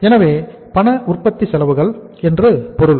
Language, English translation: Tamil, So it means cash manufacturing expenses